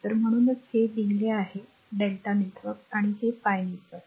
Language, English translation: Marathi, So, that is why it is written delta network and this pi network